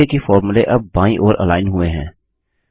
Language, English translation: Hindi, Notice that the formulae are left aligned now